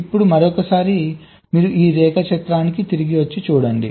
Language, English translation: Telugu, lets look at this diagram once more